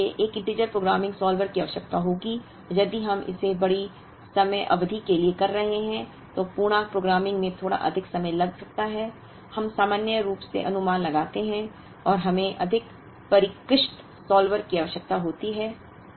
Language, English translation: Hindi, Now, this would require an integer programming solver and if we are doing it for large time periods, integer programming may take a little longer than, we normally anticipate and we may, require more sophisticated solvers